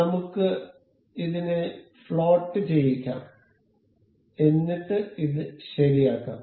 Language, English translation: Malayalam, So, let us just make it floating and make this fixed